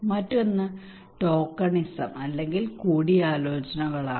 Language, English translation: Malayalam, Another one is kind of tokenism okay or consultations